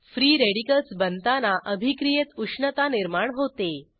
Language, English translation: Marathi, Formation of free radicals involves heat in the reaction